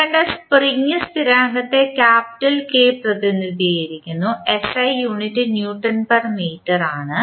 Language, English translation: Malayalam, Spring constant just we saw is represented by capital K and the SI unit is Newton per meter